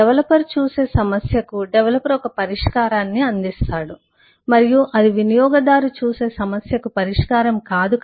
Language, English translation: Telugu, the developer provides a solution to the problem that the developer sees and thats not the solution that the user sees